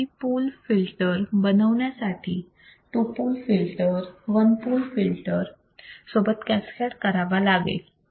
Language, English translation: Marathi, To obtain filter with three poles, cascade two pole filter with one pole filters easy right